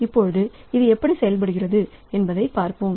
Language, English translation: Tamil, So, let us try to see how this thing works okay